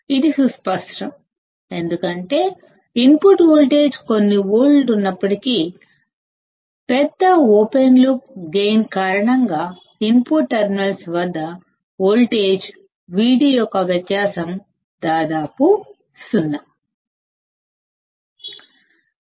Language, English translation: Telugu, This is obvious because even if the input voltage is of few volts; due to large open loop gain the difference of voltage Vd at the input terminals is almost 0